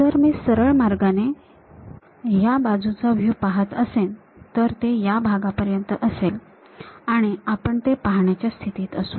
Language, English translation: Marathi, If I am straight away looking from side view, it will be up to this portion we will be in a position to see